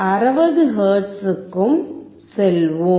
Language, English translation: Tamil, Let us go to 60 hertz